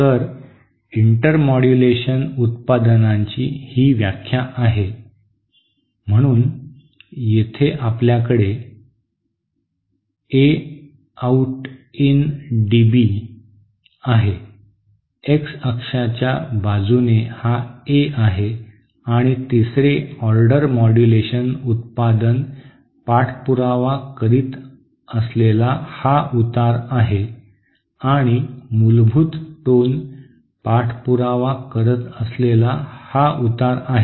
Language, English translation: Marathi, So this is the definition of the intermodulation products, so here you have A out in dB, this is A in along the X axis and this is the slope that the third order modulation product follows and this is the slope that the fundamental tones follows